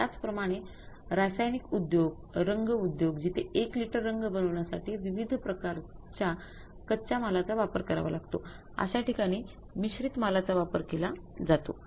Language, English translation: Marathi, Similarly the chemical industries, paint industries, there are for manufacturing the one liter of the paint, multiple types of the raw materials are used